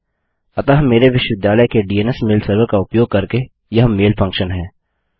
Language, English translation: Hindi, So thats a mail function by using my universitys DNS mail server